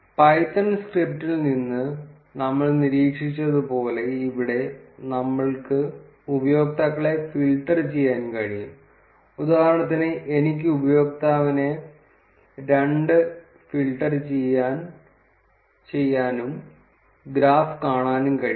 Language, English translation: Malayalam, As we observed from the python script, similarly, here we can filter out the users for instance I can filter out the user 2, and see the graph